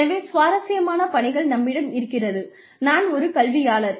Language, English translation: Tamil, So, the interesting work, that we have, I am an academician